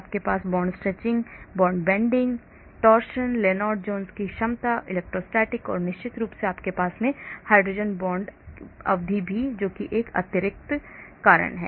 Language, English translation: Hindi, you have the term for bond stretching, bond bending, torsion , Lennard Jones potential, the electrostatic and of course you also have the hydrogen bond term also, that is one extra